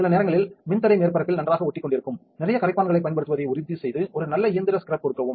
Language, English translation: Tamil, Sometimes the resist is sticking very well on the surface, just make sure to apply plenty of solvent and give it a good mechanical scrub